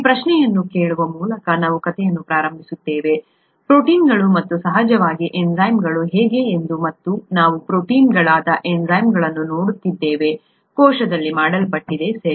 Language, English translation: Kannada, We will begin the story by asking this question, how are proteins and of course enzymes, we are looking at enzymes that are proteins, made in the cell, okay